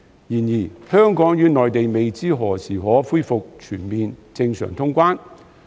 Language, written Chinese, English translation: Cantonese, 然而，香港與內地未知何時可恢復全面正常通關。, However it is not known when normal traveller clearance between Hong Kong and the Mainland can be fully resumed